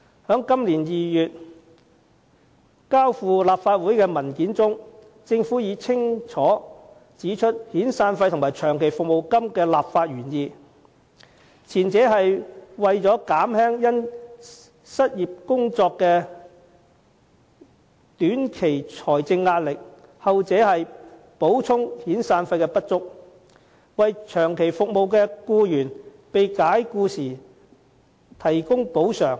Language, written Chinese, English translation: Cantonese, 在今年2月提交立法會的文件中，政府已清楚指出遣散費及長期服務金的立法原意，前者是為了減輕因失去工作的短期財政壓力，後者是補充遣散費的不足，為長期服務的僱員被解僱時提供補償。, In its paper submitted to the Council this February the Government has already pointed out clearly the policy intents of severance payment and long service payment while the former means to alleviate employees short - term financial hardship upon loss of employment the latter is to make up the insufficiency of severance payments by providing compensation to long - serving employees upon dismissal